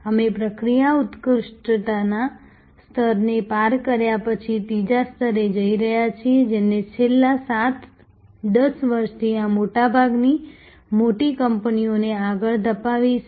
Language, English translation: Gujarati, We are moving to the third level after crossing the level of process excellence, which has driven most of these large companies for the last 7, 10 years